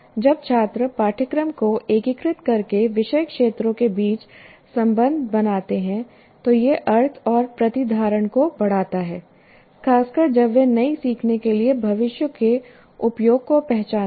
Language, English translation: Hindi, So when students make connections between subject areas by integrating the curriculum, it increases the meaning and retention, especially when they recognize a future use for the new learning